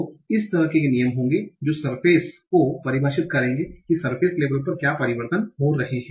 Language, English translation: Hindi, So there will be rules of these kind that will define the surface, how, what are the changes that are happening at the surface level